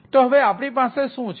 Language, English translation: Gujarati, so what we are having